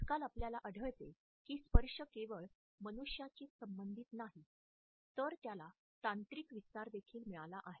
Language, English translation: Marathi, Nowadays we find that touch is not only related to human beings only, it has got a technological extension also